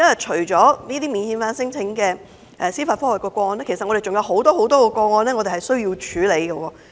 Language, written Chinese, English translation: Cantonese, 除免遣返聲請的司法覆核個案外，我們還有很多個案需要處理。, In addition to judicial review cases of non - refoulement claims we have to handle many other cases